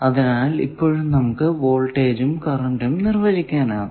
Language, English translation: Malayalam, So, that voltage and current definitions suffice